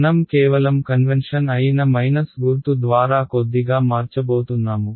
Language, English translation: Telugu, I am going to change that just a little bit by a minus sign that is just the convention